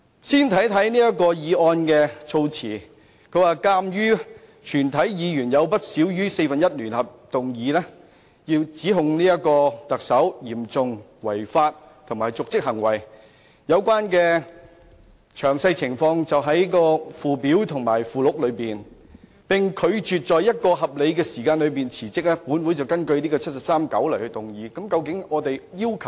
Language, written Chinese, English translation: Cantonese, 先看看這項議案的措辭，當中說鑒於全體議員有不少於四分之一聯合動議，指控特首嚴重違法，以及有瀆職行為，有關詳情在附表和附錄中。如果特首拒絕在合理時間內辭職，本會便根據《基本法》第七十三條第九項動議議案云云。, It is stated in the motion [w]hereas not less than one - fourth of all the Members of this Council have jointly initiated this motion charging the Chief Executive with serious breach of law and dereliction of duty and whereas the said Chief Executive refuses to resign within a reasonable time this Council will move a motion in accordance with Article 739 of the Basic Law so on and so forth